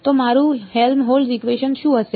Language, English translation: Gujarati, So, what will my Helmholtz equation be